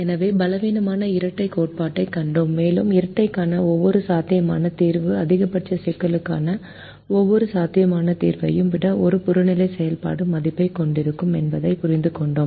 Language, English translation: Tamil, so here we saw the weak duality theorem and understood that every feasible solution to the dual will have an objective function value greater than that of every feasible solution to the maximization problem